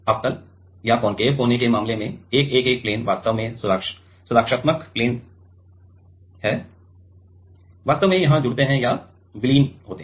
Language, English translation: Hindi, In case of concave corner the 111 plains actually the protective plains actually join or merge here